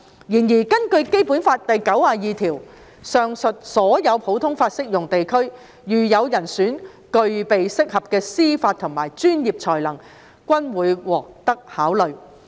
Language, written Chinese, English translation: Cantonese, 然而，根據《基本法》第九十二條，上述所有普通法適用地區如有人選具備適合的司法和專業才能均會獲得考慮。, Nevertheless according to Article 92 of the Basic Law candidates from all the above common law jurisdictions will be considered if they possess suitable judicial and professional qualities